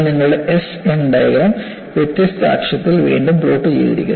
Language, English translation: Malayalam, This is again your SN diagram re plotted with different axis